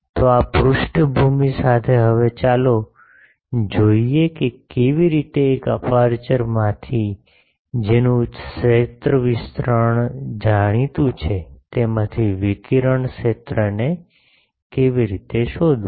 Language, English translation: Gujarati, So with this background, now, let us see the how to find the radiated field from an aperture whose field distribution is known